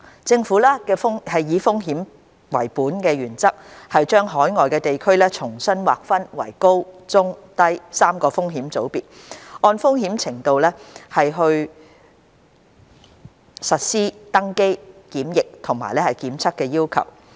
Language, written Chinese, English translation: Cantonese, 政府以風險為本為原則，把海外地區重新劃分為高、中、低3個風險組別，按風險程度實施登機、檢疫及檢測要求。, The Government has based on the risk - based principle recategorized overseas places into high - risk medium - risk and low - risk groups to implement boarding quarantine and testing requirements based on the risk levels